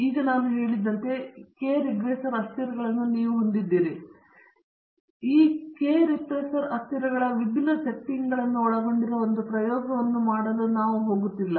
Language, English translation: Kannada, Now, you have as I said earlier k regressor variables, but you are not going to do a single experiment involving different settings of these k regressor variables